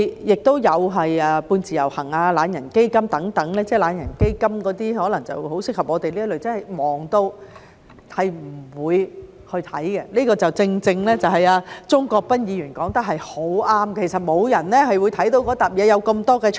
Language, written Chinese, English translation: Cantonese, 亦有"半自由行"、"懶人基金"等——"懶人基金"可能很適合我們這類真的忙得不會去看的人——鍾國斌議員說得很對，其實沒有人會看那疊文件，有那麼多 chart。, After introducing many there are the semi - portability arrangement lazybones fund etc―lazybones fund may be most suitable for people like us who are really too busy to look at the papers―Mr CHUNG Kwok - pan was right in saying that actually no one would look at that stack of papers with so many charts